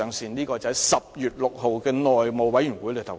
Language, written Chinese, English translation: Cantonese, 這是他在10月6日的內務委員會會議上的言論。, This was what he said at the House Committee meeting on 6 October